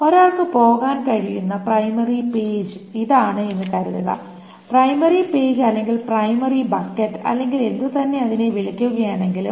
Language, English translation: Malayalam, Suppose this is the primary page that one goes to primary page or primary bucket whatever one can call